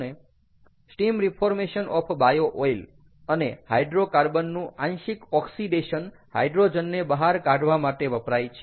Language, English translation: Gujarati, steam reformation of bio oil, clear, then partial oxidation of hydrocarbons to get the hydrogen out